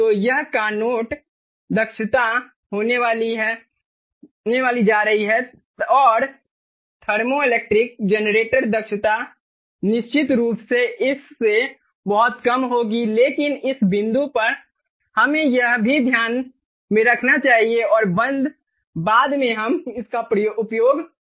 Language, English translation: Hindi, so this is going to be the carnot efficiency, and the thermoelectric generator efficiency will be definitely much lower than this, but it at this point let us also keep this in mind, and later on we are going to use it